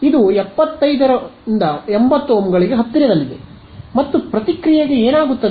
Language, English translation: Kannada, It is close to 75 to 80 Ohms and what happens to this reactance